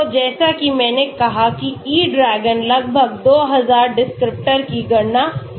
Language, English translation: Hindi, So as I said E DRAGON can calculate almost 2000 descriptors